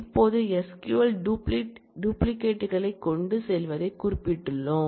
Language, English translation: Tamil, Now, we have specified that SQL does carry duplicates